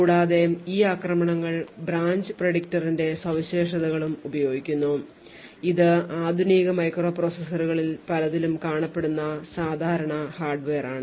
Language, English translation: Malayalam, Also, a variance of these attacks also use the features of the branch predictor which is a common hardware in many of these modern day microprocessors